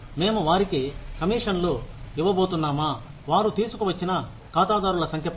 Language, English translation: Telugu, Are we going to give them, commissions, on the number of clients, they bring in